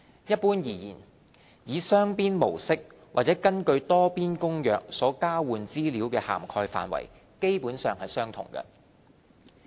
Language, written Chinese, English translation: Cantonese, 一般而言，以雙邊模式或是根據《多邊公約》所交換資料的涵蓋範圍基本上相同。, Overall speaking the scope of information to be exchanged be it conducted on a bilateral basis or under the Multilateral Convention is generally the same